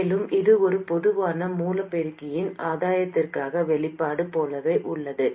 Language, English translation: Tamil, And it is exactly the same as the expression for the gain of a common source amplifier